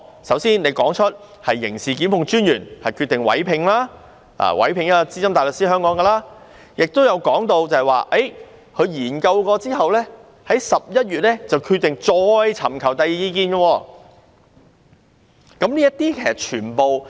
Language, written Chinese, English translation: Cantonese, 首先，刑事檢控專員說明決定委聘一名香港的資深大律師，也有說出他經研究後，在11月決定再尋求第二意見。, First DPP stated his decision to engage the service of leading senior counsel at the BAR of Hong Kong and that after considering the counsels advice he decided to seek second advice in November